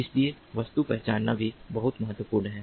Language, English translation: Hindi, so object recognition is also very important